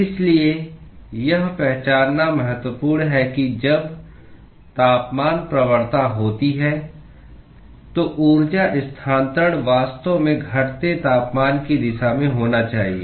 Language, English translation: Hindi, So, it is important to recognize that when there is a temperature gradient, the energy transfer must actually happen in the direction of the decreasing temperature